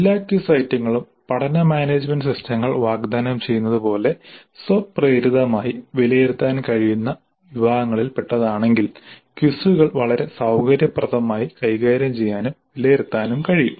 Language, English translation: Malayalam, If all quiz items belong to categories that can be readily evaluated automatically as offered by the learning management systems then the quizzes can be very conveniently administered and evaluated